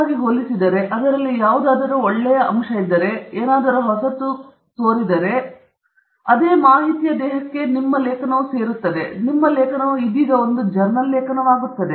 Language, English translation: Kannada, And if it compares favorably, if there is something nice in it, something new in it, then it adds to that same body of information and your article also now becomes a journal article okay